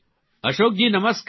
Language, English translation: Gujarati, Ashok ji, Namaste